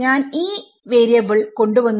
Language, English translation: Malayalam, I have introduced a variable m